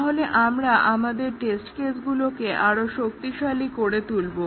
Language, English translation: Bengali, So, we strenghthen our test cases